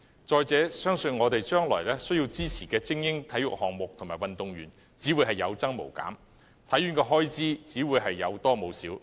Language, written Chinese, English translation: Cantonese, 況且，我們未來需要支持的精英體育項目及運動員相信只會有增無減，香港體育學院的開支只會有多無少。, Moreover the number of elite sports and elite athletes we need to support in the future will I believe only increase rather than decreasing . The expenditure of the Hong Kong Sports Institute will only keep rising